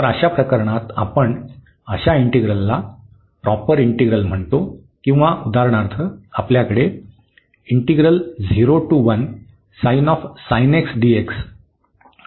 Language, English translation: Marathi, In that case we call this integral improper integral of first kind